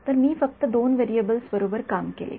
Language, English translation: Marathi, So, that I work with just two variables right